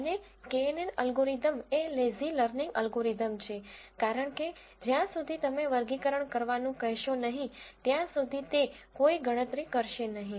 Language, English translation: Gujarati, And the knn algorithm is a lazy learning algorithm because it would not do any computations till you ask you to do classification